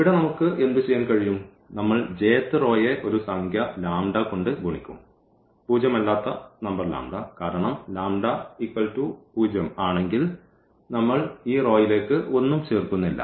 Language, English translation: Malayalam, So, what we can do that we will multiply the j th row by a number lambda again non zero number lambda because if lambda is 0, then we are not adding anything to this R i